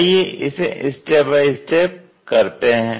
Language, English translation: Hindi, How to do that step by step